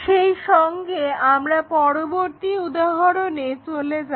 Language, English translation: Bengali, With that, let us move on to the next example